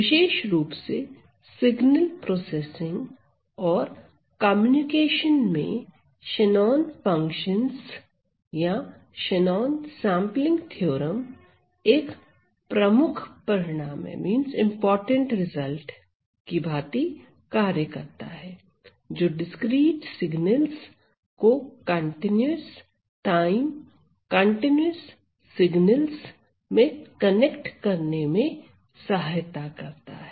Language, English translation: Hindi, Specially in the area of signal processing and communication; Shannon functions or Shannon sampling theorem plays a major result, which helps us to connect discrete signals into continuous time continuous signals